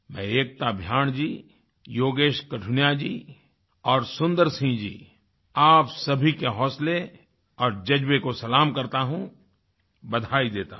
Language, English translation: Hindi, I salute Ekta Bhyanji, Yogesh Qathuniaji and Sundar Singh Ji, all of you for your fortitude and passion, and congratulate you